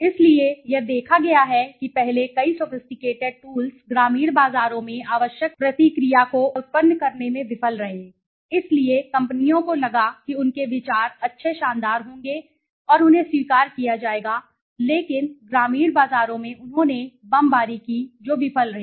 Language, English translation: Hindi, So, it has been seen that earlier several sophisticated tools fail to evoke the or generate the required response in the rural markets, so companies thought their ideas would be good brilliant and they would be accepted but in rural markets they bombed they failed okay